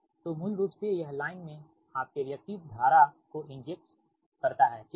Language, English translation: Hindi, so basically it injects your what you call in the line that your reactive current, right